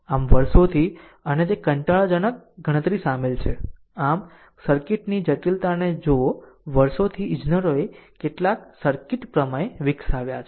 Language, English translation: Gujarati, So, over the years, and it is a tedious computation is involved; so handle the complexity of the circuit over the years engineers have developed some circuit theorems right